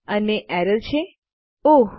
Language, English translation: Gujarati, And the error is Oh